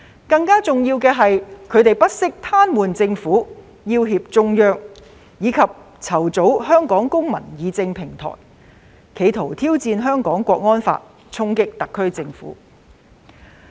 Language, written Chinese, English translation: Cantonese, 更重要的是，他們不惜癱瘓政府，要脅中央，以及籌組"香港公民議政平台"，企圖挑戰《香港國安法》，衝擊特區政府。, More importantly they went so far as to threaten the Central Authorities by paralysing the Government and organized the Hong Kong Citizens Deliberative Platform in an attempt to challenge the National Security Law and deal a blow to the SAR Government